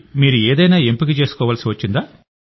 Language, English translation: Telugu, Did you have to make any selection